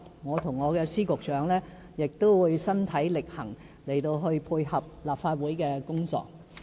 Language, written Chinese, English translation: Cantonese, 我與我的司局長亦會身體力行，配合立法會的工作。, My Secretaries and I will take practical steps personally to dovetail with the work of the Legislative Council